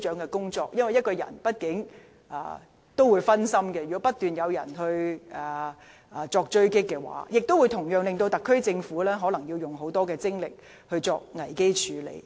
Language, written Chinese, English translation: Cantonese, 如果一名官員被外界不斷狙擊，工作畢竟會分心，同時可能耗用特區政府更多精力作危機處理。, After all a public officer who comes under constant sniping from outside the Government will be distracted from work . At the same time the SAR Government may need to step up effort on crisis management